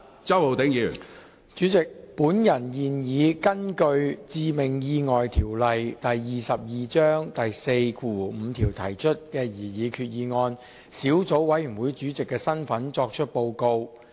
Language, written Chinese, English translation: Cantonese, 主席，本人現以根據《致命意外條例》第45條提出的擬議決議案小組委員會主席的身份作出報告。, President I now make a report in my capacity as the Chairman of Subcommittee on Proposed Resolution under Section 45 of the Fatal Accidents Ordinance Cap . 22